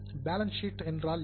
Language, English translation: Tamil, That is the purpose of balance sheet